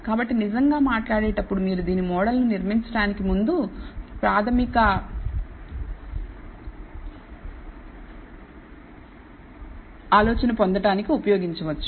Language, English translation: Telugu, So, really speaking you can actually use this to get a preliminary idea before you even build the model